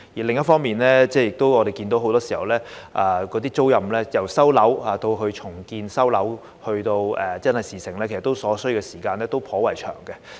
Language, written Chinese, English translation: Cantonese, 另一方面，我們亦看到很多時候，由收回該等租賃單位作重建，再到真的成事，所需時間其實頗長。, On the other hand we can see that it often takes quite a long time from the resumption of such rental units for redevelopment to the successful completion